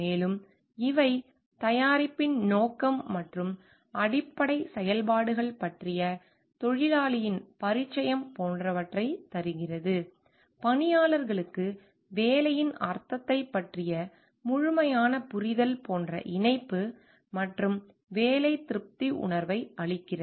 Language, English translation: Tamil, And also these gives like the worker s familiarity with the purpose and basic functions of the product gives the employee a sense of connectivity and job satisfaction, like complete understanding of the nature of the job meaning of the job